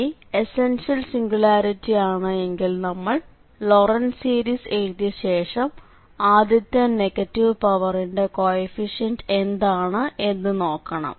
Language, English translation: Malayalam, If it is essential singular points we have to use the Laurent series expansion and then we can find the coefficient of this first term where the negative powers starts